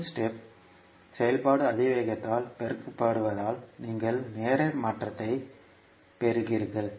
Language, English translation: Tamil, The unit step function multiplied by the exponential means you are getting the time shift